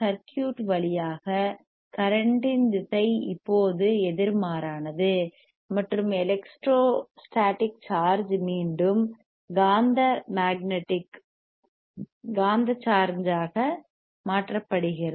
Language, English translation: Tamil, So, by tThe direction of the current again through the circuit is now opposite and again the electro static charge getsis converted to the magnetic charge again